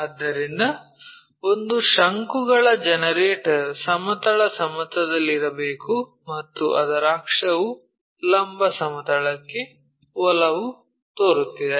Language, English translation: Kannada, So, a cone generator has to be on the horizontal plane and its axis appears to be inclined to vertical plane